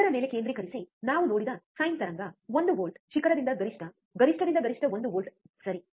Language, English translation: Kannada, Concentrate on this what we have seen apply sine wave ok, one volt peak to peak, peak to peak is one volt, right